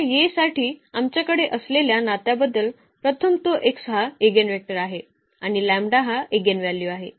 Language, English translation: Marathi, So, first of a relation we have for this A that x is the eigenvector and lambda is the eigenvalue